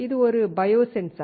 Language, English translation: Tamil, This is a bio sensor